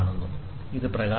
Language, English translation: Malayalam, So, this is illumination